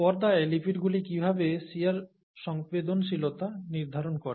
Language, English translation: Bengali, How do lipids in the membrane determine shear sensitivity